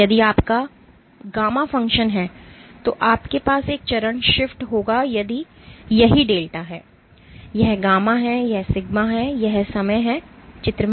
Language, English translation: Hindi, If this is your gamma function you have a phase shift this is what delta is, this is gamma and this is sigma this is time